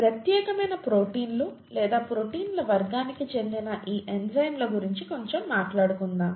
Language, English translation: Telugu, Let us talk a little bit about these enzymes which are specialised proteins or a class of proteins